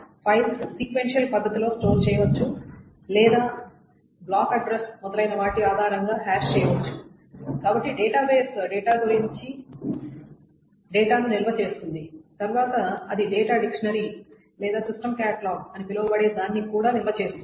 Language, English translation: Telugu, So the file organization so the file organization the files can be stored in a sequential manner or it can be hashed depending on the block address etc so the database stores the data actually about the data then it also stores something called the data dictionary or the system catalog which stores the data about data